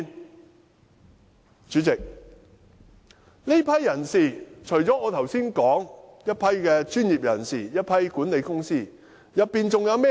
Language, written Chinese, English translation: Cantonese, 代理主席，在這些有關人士中，除了我剛才說的專業人士和管理公司人員，還有甚麼人？, Deputy President among these people in question apart from professionals and staff members of management companies mentioned by me just now who else were there?